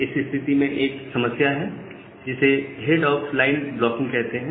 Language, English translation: Hindi, So, in this case you have a problem called head of line blocking